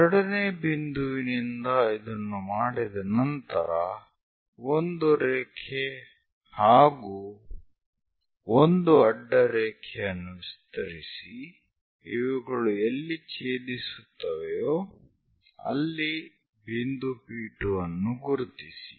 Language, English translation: Kannada, Once it is done from second, extend a line and a horizontal line where it is going to intersect locate point P2